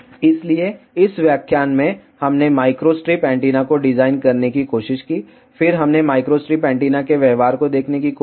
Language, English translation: Hindi, So, in this lecture, we tried to design micro strip antenna, then we tried to see the behavior of micro strip antenna